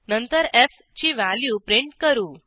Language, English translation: Marathi, Then we print the value of f